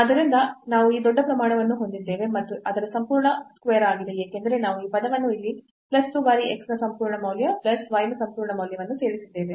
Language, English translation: Kannada, So, we have this bigger quantity and that is whole square because we have added this term here plus 2 times absolute value x absolute value of y